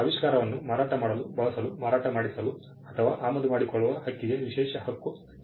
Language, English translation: Kannada, The exclusive right pertains to the right to make sell, use, offer for sale or import the invention